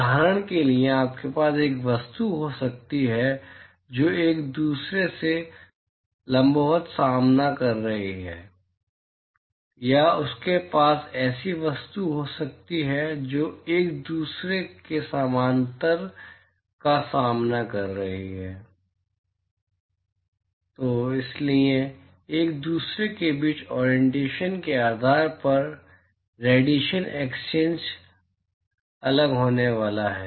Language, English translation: Hindi, For example, you might have an object which is facing perpendicular to each other, or you might have objects which is facing parallel to each other, so depending upon the orientation between each other, the radiation exchange is going to be different